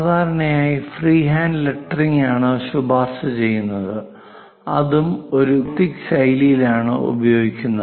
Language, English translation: Malayalam, Usually, it is recommended most freehand lettering, and that’s also in a gothic style